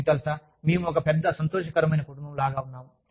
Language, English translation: Telugu, You know, we are like just, one big happy family